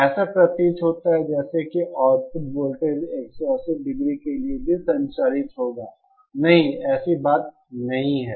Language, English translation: Hindi, It appears as if the output voltage will also conduct for 180 degree, no, that is not the case